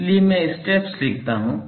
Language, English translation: Hindi, So, I will write the steps